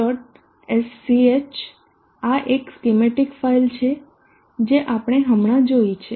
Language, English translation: Gujarati, SCH this is the schematic file that we just now saw series